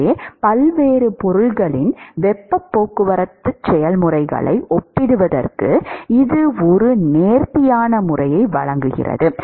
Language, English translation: Tamil, So, this provides an elegant method to compare the heat transport processes across different materials